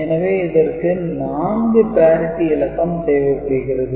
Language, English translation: Tamil, So, 4 parity bits will be required